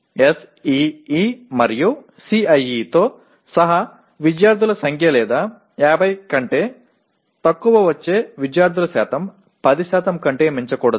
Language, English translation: Telugu, That is including SEE and CIE the number of student or the percentage of students getting less than 50 should not be exceeding 10%